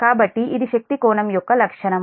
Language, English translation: Telugu, so this is power angle characteristic of this one